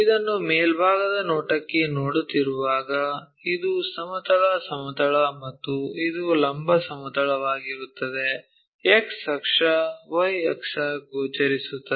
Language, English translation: Kannada, When we are looking top view this one, this is the horizontal plane and this is the vertical plane, X coordinate, Y coordinates visible